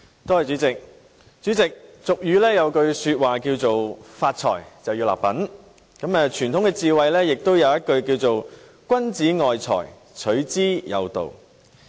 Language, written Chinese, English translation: Cantonese, 主席，俗語有云："發財立品"，而傳統智慧也說："君子愛財，取之有道"。, President as the common saying goes One should show some moral character after getting rich and conventional wisdom also says Wealth is covetable for a gentleman but he gets it in a proper way